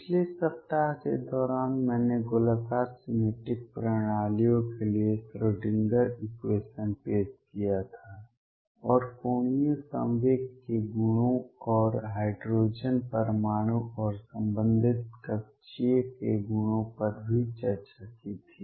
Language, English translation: Hindi, During the last week I had introduced the Schrödinger equation for spherically symmetric systems, and discussed the properties of angular momentum and also the hydrogen atom and corresponding orbital’s